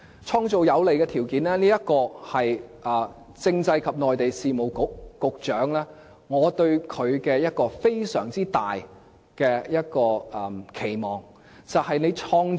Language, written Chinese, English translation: Cantonese, 創造有利的條件，是我對政制及內地事務局局長的一個非常大的期望。, One of my great expectations of the Secretary for Constitutional and Mainland Affairs is that he can create favourable conditions